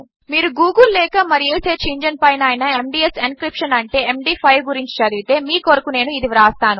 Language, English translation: Telugu, And if you read up on Google or any search engine about MD5 encryption thats M D 5